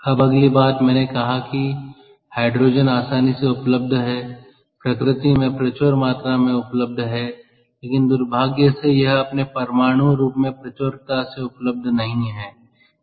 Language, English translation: Hindi, now next thing: i said that hydrogen is readily available, is is abundantly available in nature, but unfortunately it is not abundantly available in its atomic form